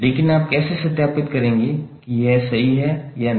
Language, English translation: Hindi, But how you will verify whether it is correct or not